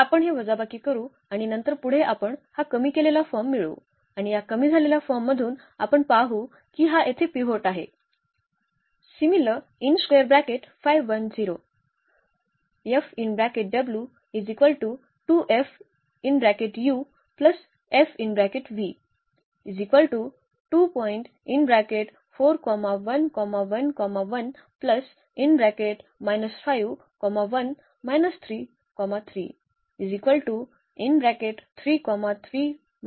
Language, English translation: Marathi, So, we will get this reduced form, and from this reduced form we will now observe that this is the pivot here this is also the pivot